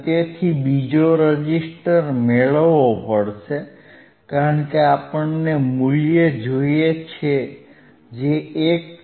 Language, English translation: Gujarati, So, he has to again get a another resistor another resistor because we want value which is 1